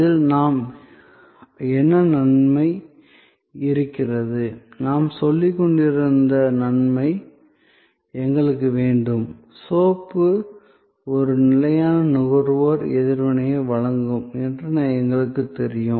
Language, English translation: Tamil, Why, what is the advantage doing in that, the advantage that I was saying that, we want, we know that soap will provide a consistent consumer reaction, time after time